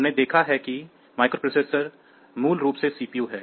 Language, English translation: Hindi, So, you have seen the microprocessors are basically the CPU